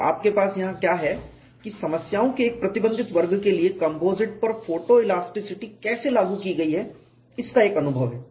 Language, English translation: Hindi, So, what you have here is a flavor of how photo elasticity has been applied to composites for a restricted class of problem